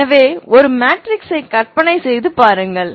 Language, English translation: Tamil, So imagine a matrix L is like a matrix